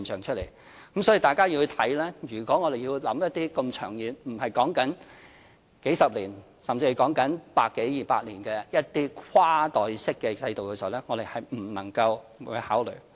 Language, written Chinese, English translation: Cantonese, 所以，大家要看，如果我們要構思一些這麼長遠——不是數十年——甚至是百多二百年的一些跨代式制度時，我們不能夠不考慮。, So we must not ignore these factors if we are to design a cross - generational system that will span not a few dozen years but one century or two